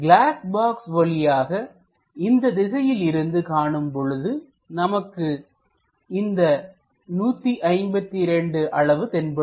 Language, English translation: Tamil, So, if we are looking in this direction for the glass box, this dimension 152 will be visible